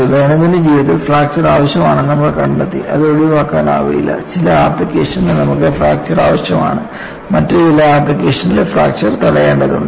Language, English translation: Malayalam, We found fracture is needed in day to day living; it cannot be avoided; you need fracture in certain applications; you need to prevent fracture in certain other applications